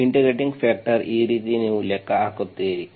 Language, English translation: Kannada, Integrating factor, this is how you calculate